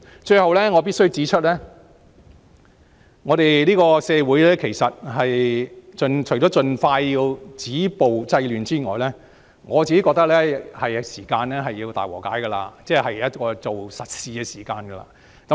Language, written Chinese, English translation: Cantonese, 最後，我必須指出，社會除了要盡快止暴制亂外，我認為是時候進行大和解，做實事的時候。, Lastly I have to point out that in my opinion apart from the need to stop violence and curb disorder as soon as possible it is the time for reconciliation for us to do something practical and realistic